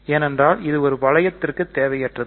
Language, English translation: Tamil, So, this is not necessary for a ring